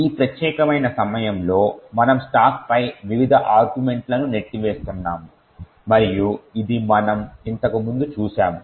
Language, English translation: Telugu, At this particular point we are pushing the various arguments on the stack and this we have seen before